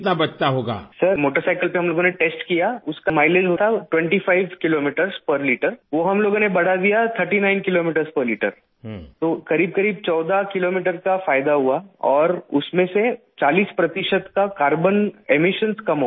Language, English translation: Urdu, Sir, we tested the mileage on the motorcycle, and increased its mileage from 25 Kilometers per liter to 39 Kilometers per liter, that is there was a gain of about 14 kilometers… And 40 percent carbon emissions were reduced